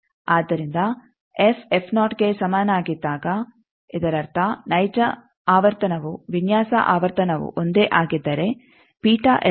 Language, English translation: Kannada, So, when f is equal to f naught that means that design frequency if the actual frequency is also that then it is simply beta l is 2